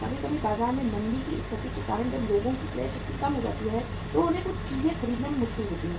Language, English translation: Hindi, Sometimes because of the recessionary situation in the market when the purchasing power of the people go down they find it difficult to purchase certain uh things